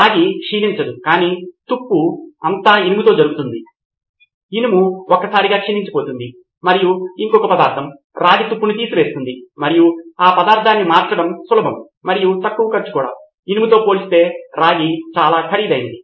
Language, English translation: Telugu, It would not corrode but all the corrosion would happen with iron, sounds like magic that something else takes the corrosion away and that gets corroded once that and it is easier and cheaper to replace that material compared to copper which is more expensive